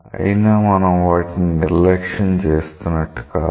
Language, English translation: Telugu, So, it is not that we are neglecting